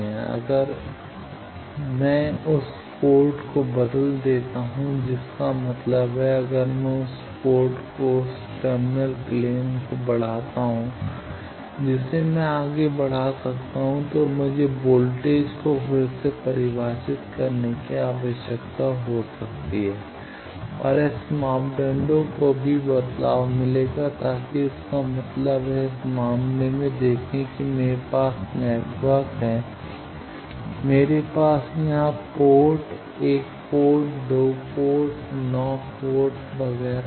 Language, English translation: Hindi, Now, if I change that port that means, if I extend that port that terminal plane I can extend, I can then need to redefine the voltages and the S parameters will also get change so that means, see in this case that I have a network, I had the ports here port one, port two, port nine, etcetera